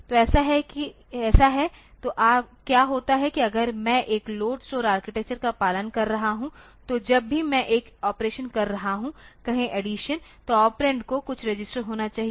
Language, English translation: Hindi, So, the so, what happens is that if I am following a LOAD STORE architecture then whenever I am doing an operation say addition operation then the operands must be some registers